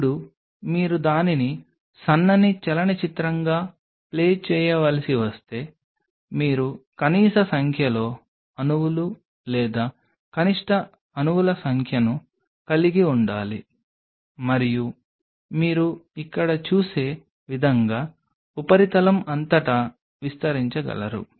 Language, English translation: Telugu, Now if you have to play it as a thin film then you have to have minimalistic number of molecules or minimum number of molecules and you should be able to spread it out all over the substrate the way you see here